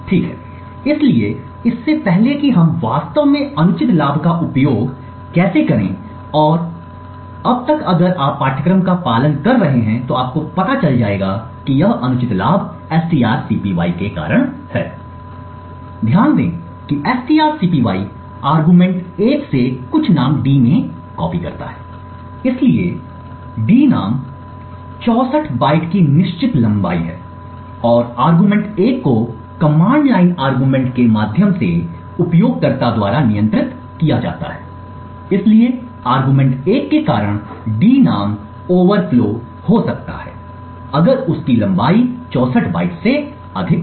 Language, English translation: Hindi, Okay, so before we go into how to actually use the exploit and by now if you have been following the course then you would have figured out that the exploit is due to this vulnerability in the strcpy, note that the strcpy copies something from argument 1 into d name so d name is a fixed length of 64 bytes and argument 1 is controlled by the user through the command line arguments, so the argument 1 can cause d name to overflow if it has a length which is greater than 64 bytes